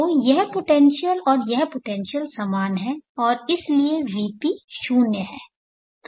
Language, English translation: Hindi, So this potential and this potential are same now and therefore V B is zero